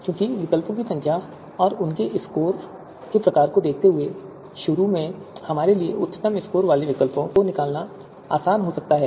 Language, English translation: Hindi, Because in the given the number of alternatives and the kind of scores that they might have, you know initially it might be easier for us to extract the you know alternatives with the highest scores